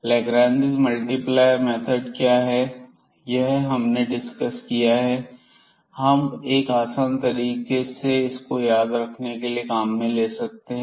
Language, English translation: Hindi, So, what is the method of the Lagrange multiplier which we have just discussed we can there is a way to remember easily how to set up these equations